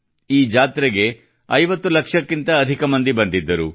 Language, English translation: Kannada, More than 50 lakh people came to this fair